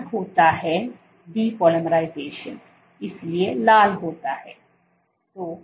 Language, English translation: Hindi, There is red is depolymerization, so red